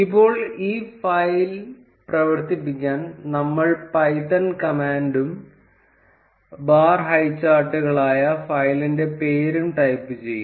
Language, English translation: Malayalam, Now to run this file, we will type the command python and the name of the file that is bar highcharts